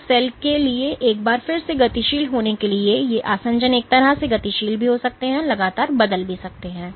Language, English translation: Hindi, So, again once again for the cell to be dynamic these adhesions are also dynamic in a way that they constantly turn over